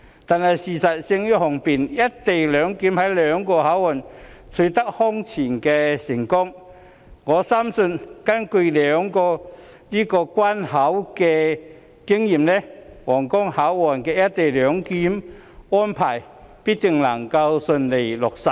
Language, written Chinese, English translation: Cantonese, 不過，事實勝於雄辯，"一地兩檢"在兩個口岸均空前成功，我深信根據這兩個關口的經驗，皇崗口岸的"一地兩檢"安排必定能夠順利落實。, Nevertheless facts speak louder than words . The implementation of co - location arrangement at the two land crossings is unprecedentedly successful . Based on the experience of these two land crossings I strongly believe that co - location arrangement can be smoothly implemented at Huanggang Port without a doubt